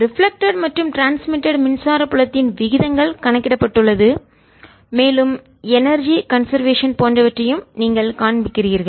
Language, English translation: Tamil, the ratios of transmitted and ah reflected electric field have been calculated and you also shown through those that energy is reconserved